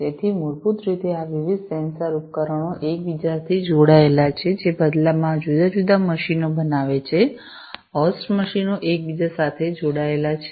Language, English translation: Gujarati, So, basically these different sensor devices are connected to one another, which in turn makes these different machines, the host machines connected to one another